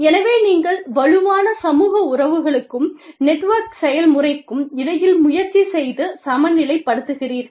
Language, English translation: Tamil, So, you try and balance between, the strong social relationships, and the network level process